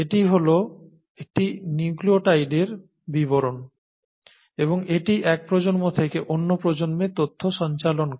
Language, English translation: Bengali, So that is what a nucleotide is all about and that is what passes on the information from one generation to another